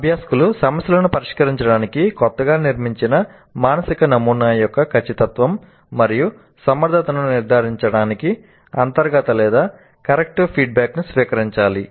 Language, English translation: Telugu, Learners should receive either intrinsic or corrective feedback to ensure correctness and adequacy of their newly constructed mental model for solving problems